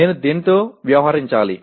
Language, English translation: Telugu, Which one should I deal with